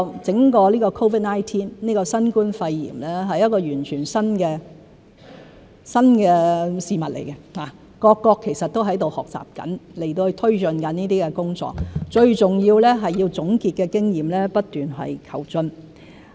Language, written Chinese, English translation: Cantonese, 整個 COVID-19、新冠肺炎，是全新的事物，各國其實都在學習中，同時推進抗疫工作，最重要的是要總結經驗，不斷求進。, COVID - 19 or noval coronavirus is a completely new thing . All countries are in fact learning while taking forward their anti - epidemic work so it is most important to sum up the experience and strive for continuous improvement